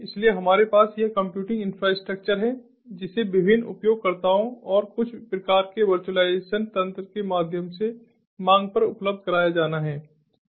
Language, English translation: Hindi, so we have this computing infrastructure which has to be made available on demand to the different users through some kind of virtualization mechanism